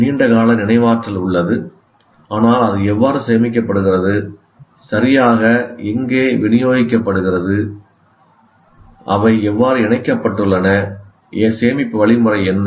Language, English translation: Tamil, The memory is put in the long term, there is a long term memory, but how it is stored, where exactly it is distributed, how they are connected, what is the storage mechanism